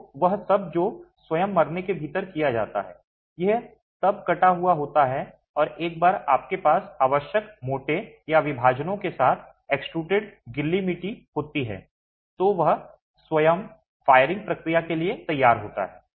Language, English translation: Hindi, These are then sliced and once you have the, once you have the extruded wet clay with the necessary cores or divisions, it then is ready for the firing process itself